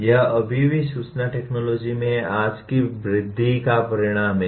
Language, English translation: Hindi, This is still the result of today’s growth in the information technology